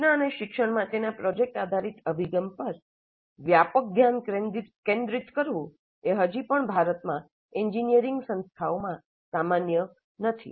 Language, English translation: Gujarati, A wider focus on project based approach to instruction and learning is still not that common in engineering institutes in India